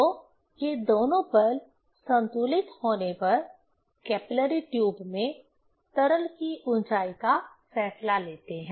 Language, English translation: Hindi, So, these two forces, when balanced, that decides the rise of the liquid in the capillary tube